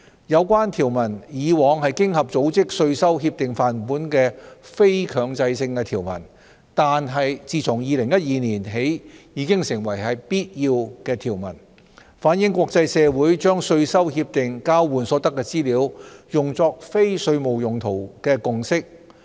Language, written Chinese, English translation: Cantonese, 有關條文以往是經合組織稅收協定範本的非強制性條文，但自2012年起已成為必要的條文，反映國際社會把稅收協定交換所得的資料用作非稅務用途的共識。, The relevant provision was previously an optional provision in the OECD Model Tax Convention but it has become an integral provision since 2012 to reflect the consensus reached by the international community on the use of information exchanged under the tax conventions for non - tax related purposes